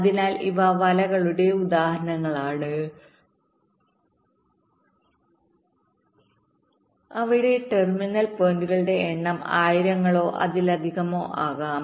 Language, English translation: Malayalam, so these are examples of nets where the number of terminal points can run into thousands or even more